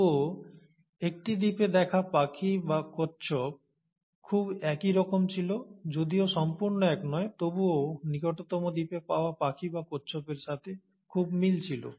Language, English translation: Bengali, Yet, a bird or a tortoise seen in one island was very similar, though not exactly the same, was very similar to the birds or the tortoises found in the nearest island